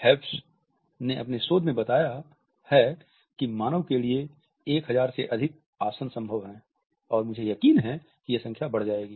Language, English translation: Hindi, Hewes has reported in this research that 1,000 study human postures are possible and I am sure that the number would rise